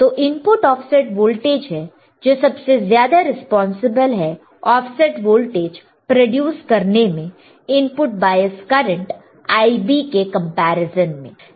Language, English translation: Hindi, Input offset voltage which is more responsible for producing an offset voltage compared to input bias current Ib right